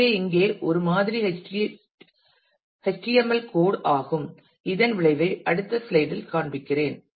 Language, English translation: Tamil, So, the here is a sample HTML code let me show you the effect of this in the next slide